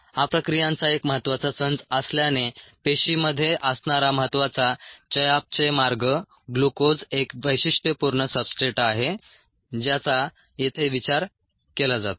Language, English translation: Marathi, so since this is an important set of reactions, important metabolic pathway that takes place in the cell, glucose is a typical substrate that is considered